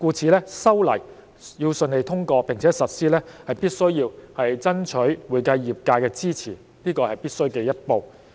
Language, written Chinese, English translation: Cantonese, 正是由於茲事體大，故此修例要順利通過並且實施，是必需爭取會計業界的支持，這是必需的一步。, Owing to the immense importance of this issue it is necessary to strive for the support of the accounting profession to secure the smooth passage and implementation of these legislative amendments . This is an essential step